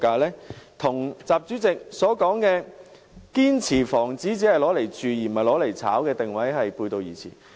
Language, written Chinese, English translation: Cantonese, 這與習主席提到的"堅持房子是用來住的，不是用來炒的"的定位背道而馳。, This runs contrary to President XIs positioning that houses are for habitation not speculation